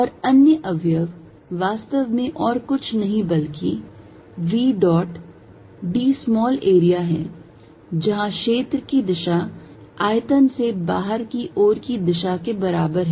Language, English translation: Hindi, And other components is actually nothing but v dot d small area where the direction of area is equal to pointing out of the volume